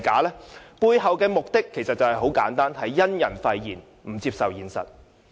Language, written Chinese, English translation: Cantonese, 其背後的目的很簡單，便是因人廢言，不接受現實。, Their purpose is very simple they reject the results on account of the organizing body and they refuse to accept the reality